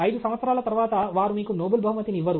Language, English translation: Telugu, After 5 years, they don’t give Nobel prize